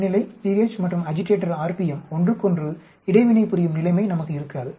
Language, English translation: Tamil, We will not have a situation where temperature pH and agitator r p m interacting with each other